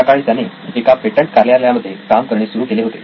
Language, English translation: Marathi, So he started working at a patent office